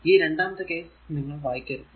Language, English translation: Malayalam, So, this you should not read for the second case right